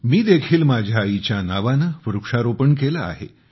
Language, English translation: Marathi, I have also planted a tree in the name of my mother